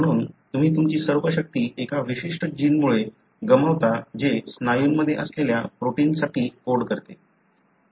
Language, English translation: Marathi, Therefore you loose all your strength resulting from a particular gene which codes for a protein which is present in the muscle